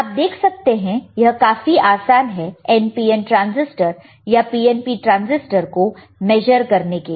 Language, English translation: Hindi, You can see here, it is very easy, right NPN transistor or PNP transistor, right NPN, PNP transistor